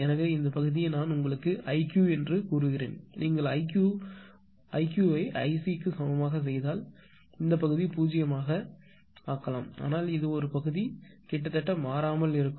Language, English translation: Tamil, So, this part I told you i Q if you made i Q is equal to I C then your what you call this ah your this part will remains same this may be 0, but this part will almost unchanged